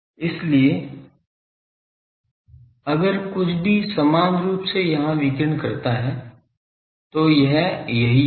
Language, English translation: Hindi, So, if anything radiates equally in here , this will be this